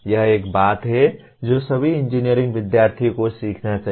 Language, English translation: Hindi, This is one thing that all engineering students should learn